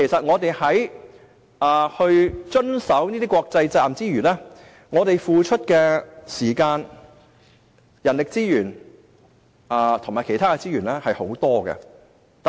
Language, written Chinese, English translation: Cantonese, 我們為了遵守這些國際責任，付出的時間、人力資源及其他資源非常多。, We have devoted a lot of time human resources and other resources to comply with these international responsibilities